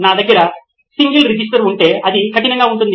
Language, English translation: Telugu, If I have a single register it is going to be tough